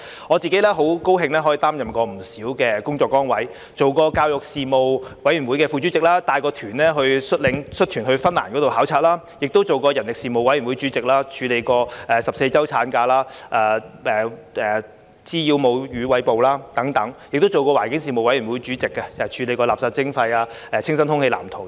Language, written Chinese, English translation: Cantonese, 我自己很高興可以擔任不少工作崗位，當過教育事務委員會副主席，率團到芬蘭考察；亦當過人力事務委員會主席，處理過14周產假、滋擾母乳餵哺等；亦當過環境事務委員會主席，處理過垃圾徵費、清新空氣藍圖等。, I am very glad for being able to hold quite a number of positions . As Deputy Chairman of the Panel on Education I led a delegation to visit Finland . As Chairman of the Panel on Manpower I dealt with the 14 - week maternity leave breastfeeding harassment etc